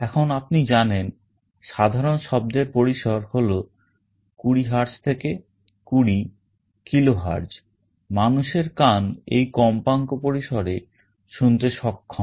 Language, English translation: Bengali, Now, you know that the typical audio range is 20 Hz to 20 KHz, human ear is able to hear between this frequency range